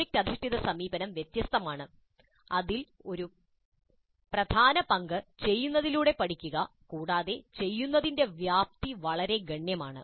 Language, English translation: Malayalam, The project based approach is different in that it accords a very central role, a key role to learning by doing and the scope of doing is quite substantial